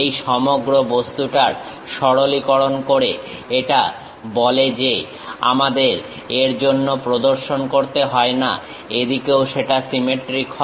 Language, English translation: Bengali, This simplifies the entire object saying that we do not have to really show for this, that will be symmetric on this side also